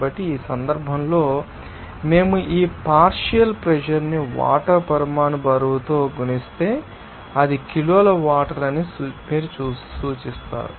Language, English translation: Telugu, So, in this case if we multiply this partial pressure by it is you know, the molecular weight of water, then you will see that it will be asked is kg of water